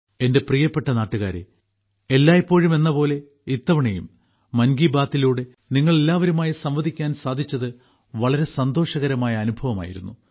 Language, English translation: Malayalam, My dear countrymen, as always, this time also it was a very pleasant experience to connect with all of you through 'Mann Ki Baat'